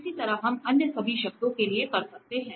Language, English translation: Hindi, Similarly, we can do for all other terms